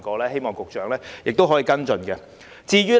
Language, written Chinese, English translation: Cantonese, 希望局長可以跟進。, I hope the Secretary can follow up the proposal